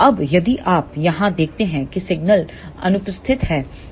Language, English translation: Hindi, Now, if you see here if the signal is absent